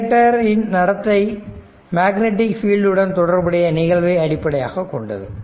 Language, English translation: Tamil, The behavior of inductor is based on phenomenon associated with magnetic fields